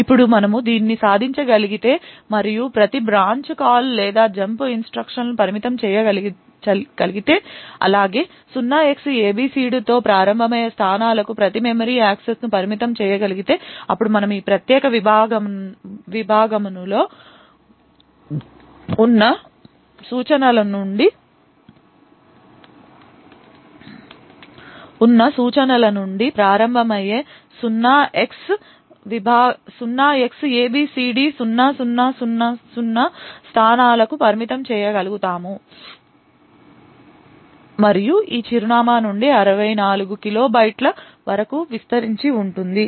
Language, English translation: Telugu, Now if we are able to achieve this and restrict every branch call or a jump instruction as well as restrict every memory access to locations which start with 0Xabcd then we will be able to confine the instructions within this particular segment to the locations starting from 0Xabcd0000 and extending up to 64 kilobytes from this address